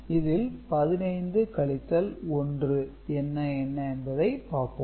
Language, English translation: Tamil, So, 15 minus 1 right